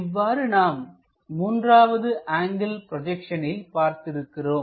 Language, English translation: Tamil, Similarly, we have looking in the 3rd angle projection